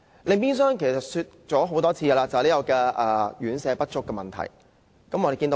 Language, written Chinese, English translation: Cantonese, 另外就是已多次提及的院舍不足問題。, Another problem is the shortage of residential care homes